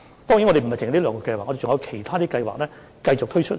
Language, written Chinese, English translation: Cantonese, 當然，不止這兩項計劃，其他計劃將會陸續推出。, Of course outside of these two projects other projects will be launched soon